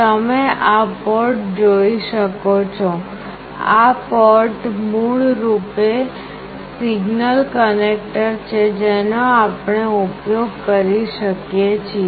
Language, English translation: Gujarati, You can see these ports; these ports are basically signal connector that we can use